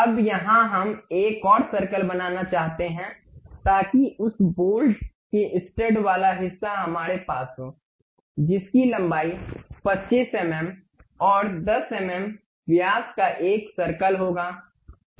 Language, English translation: Hindi, Now, here we would like to draw another circle, so that the stud portion of that bolt we can have it, which will be 25 mm in length and a circle of 10 mm diameter